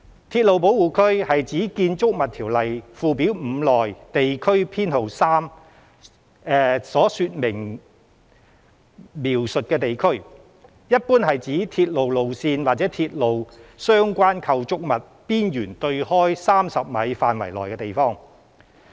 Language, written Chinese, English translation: Cantonese, 鐵路保護區是指《條例》附表5內地區編號3的說明所描述的地區，一般是指由鐵路路線或鐵路相關構築物邊緣對開30米範圍內的地方。, Railway protection areas refer to the areas described in the description of Area Number 3 in Schedule 5 to the Ordinance the boundary of which is generally 30 metres from the edge of the railways lines or premises